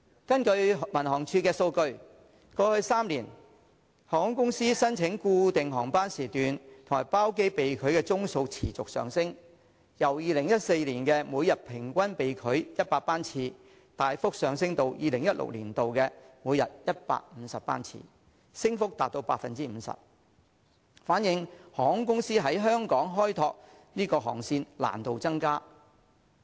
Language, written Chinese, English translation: Cantonese, 根據民航處的數據，過去3年，航空公司申請固定航班時段和包機被拒的宗數持續上升，由2014年每天平均被拒100班次，大幅上升至2016年的每天150班次，升幅達到 50%， 反映航空公司在香港開拓航線的難度增加。, According to figures provided by the Civil Aviation Department in the past three years the number of rejected applications of airlines to operate scheduled or chartered flights has greatly increased from an average of 100 flights per day in 2014 to 150 flights per day in 2016 representing an increase of 50 % . This shows that it has become increasingly difficult for airlines to develop their flights